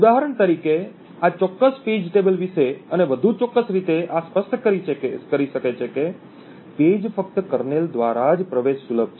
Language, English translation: Gujarati, For example this may be say of a particular page table and more particularly this may specify that a page is accessible only by the kernel